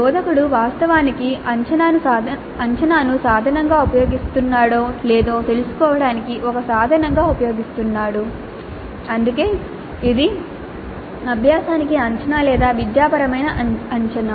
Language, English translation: Telugu, So the instructor is actually using the assessment as a tool to see if learning is happening in the intended way